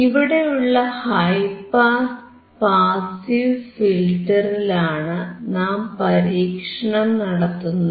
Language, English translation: Malayalam, Now, we have seen the low pass passive filter